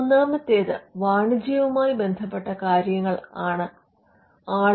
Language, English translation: Malayalam, Now, the third reason could be reasons pertaining to commerce